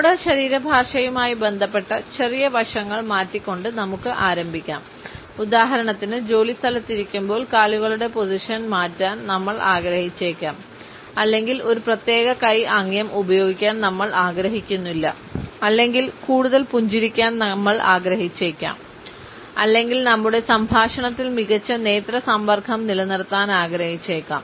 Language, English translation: Malayalam, We can start by changing a smaller aspects related with our body language for example, we may want to change the position of legs well while we sit in our workplace or we want not to use a particular hand gesture or we may like to remember to have more smiles or maintain a better eye contact in our conversation